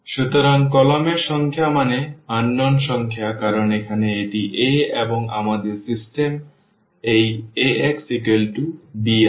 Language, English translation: Bengali, So, the number of columns means the number of unknowns because here this is A and we have our system this Ax is equal to is equal to b